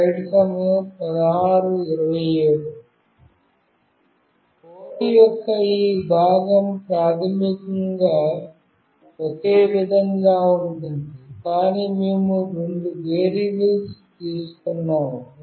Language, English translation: Telugu, This part of the code is the same basically, but we have taken two variables